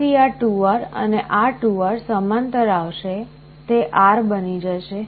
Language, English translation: Gujarati, So, again this 2R and this 2R will come in parallel, that will become R